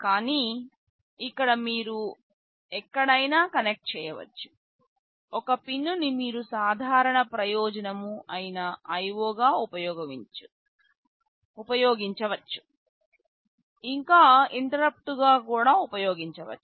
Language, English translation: Telugu, But, here you can connect anywhere, some pin you can use as a general purpose IO you can also use as interrupt